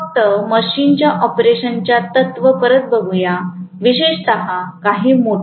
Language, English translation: Marathi, Just come back to the principle of operation of the machine, especially as some motor